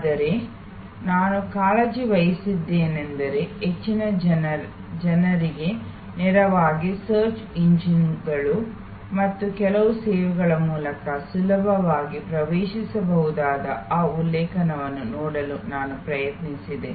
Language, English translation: Kannada, But, what I have taken care is that, I have tried to sight those references which are readily accessible to most people directly through the search engines and some of the services